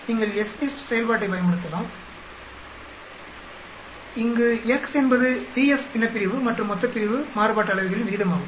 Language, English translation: Tamil, You can use FDIST function, where x is the ratio of the variances d f numerator and denominator